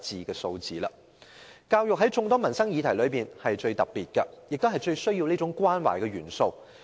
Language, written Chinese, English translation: Cantonese, 教育在眾多的民生議題中是最特別的，最需要這種關懷。, Education in various livelihood issues is unique in the sense that it is in the greatest need of such care